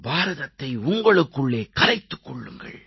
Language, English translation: Tamil, Internalize India within yourselves